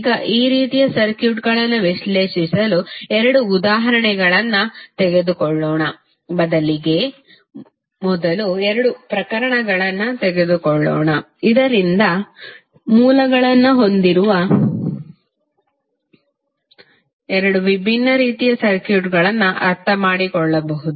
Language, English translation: Kannada, Now, to analyze these kind of two circuits let us take two examples rather let us take two cases first so that you can understand two different types of circuits containing the current sources